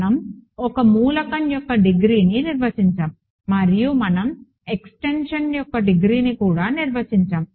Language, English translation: Telugu, We defined the degree of an element and we also defined the degree of an extension